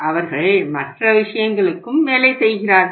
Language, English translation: Tamil, They are working for the other things also